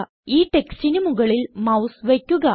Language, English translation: Malayalam, Hover the mouse over this text